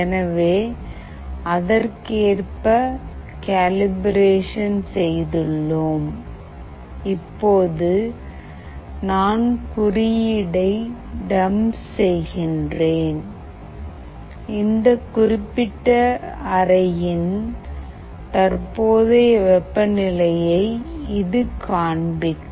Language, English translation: Tamil, So, we have done the calibration accordingly and now I will be dumping the code, which will display the current temperature of this particular room